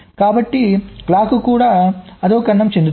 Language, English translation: Telugu, so the clock will also get degraded